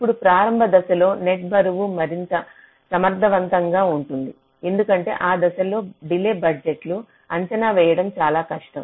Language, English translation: Telugu, the initial stage is net weights can be more effective because delay budgets are very difficult to to estimate during that stage